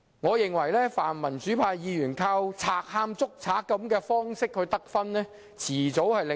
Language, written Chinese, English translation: Cantonese, 我認為泛民主派議員依靠"賊喊捉賊"的方法得分，早晚會令市民"無啖好食"。, If pan - democratic Members continue to adopt the tactic of a thief crying thief to gain credits the general public will have everything to lose